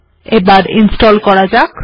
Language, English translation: Bengali, Let me install it